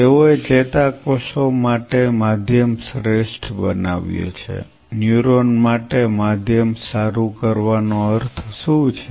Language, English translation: Gujarati, They have optimized the medium for neurons, optimized medium for neuron what does that mean